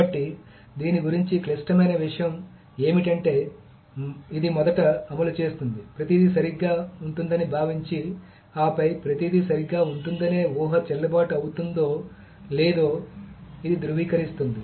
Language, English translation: Telugu, So the critical thing about this is that it first executes, assuming that everything will be correct, and then it validates whether that assumption that everything will be correct was valid or not